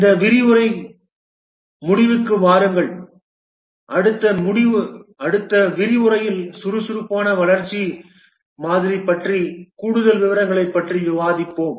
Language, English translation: Tamil, For this lecture, we will just come to the end and in the next lecture we will discuss more details about the agile development model